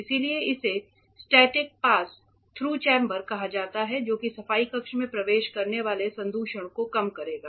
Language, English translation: Hindi, So, that is why it is called static pass through chamber that will reduce the contamination that might enter the cleanroom